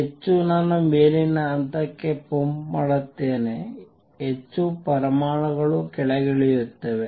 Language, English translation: Kannada, More I pump to upper level, more the more atoms come down